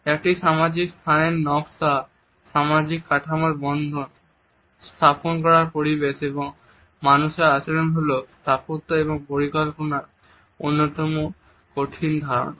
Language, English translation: Bengali, The design of a social space the interface between social structure, built environment and human behaviour is one of the most challenging concepts of architectural and planning